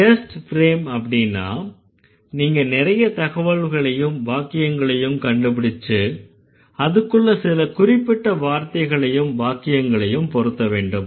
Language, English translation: Tamil, So when it is a test frame you have to find out a lot of data like a lot of sentences and then you have to fit certain kind of words and phrases into it